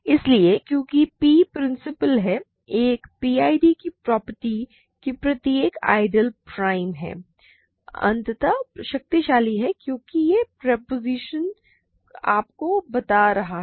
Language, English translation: Hindi, So, since P is principal the property of a PID that every ideal is principal is extremely powerful as this propositions are telling you